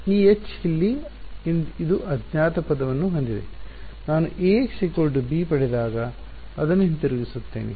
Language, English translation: Kannada, This H over here which has the unknown term I will move it back to when I get Ax is equal to b